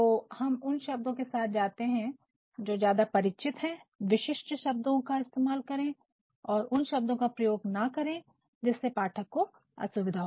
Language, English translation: Hindi, Hence we will go with the words which are familiar make use of specific words and do not go for words which can pose difficulty to the readers